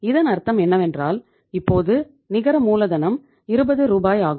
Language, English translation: Tamil, So it means now the net working capital will be 20 Rs